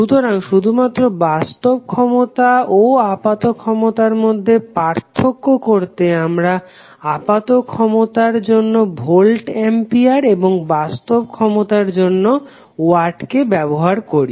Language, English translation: Bengali, So just to differentiate between apparent power and the real power we use voltampere as a quantity for apparent power and watt as quantity for real power